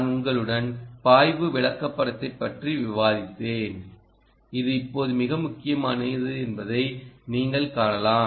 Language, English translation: Tamil, i had discussed the flow chart with you ah, which you can now see is a very important ah